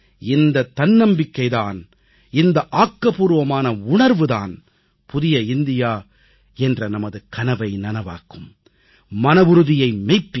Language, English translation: Tamil, This self confidence, this very positivity will by a catalyst in realising our resolve of New India, of making our dream come true